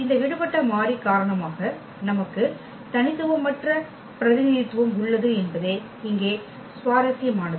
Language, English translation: Tamil, What is interesting here that we have a non unique representation because of this free variable